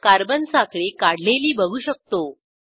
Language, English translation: Marathi, We see that carbon chain is drawn